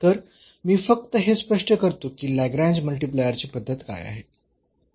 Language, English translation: Marathi, So, let me just explain that what is the method of Lagrange multiplier